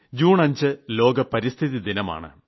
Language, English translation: Malayalam, 5th June is World Environment Day